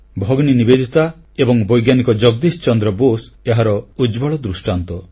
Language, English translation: Odia, Sister Nivedita and Scientist Jagdish Chandra Basu are a powerful testimony to this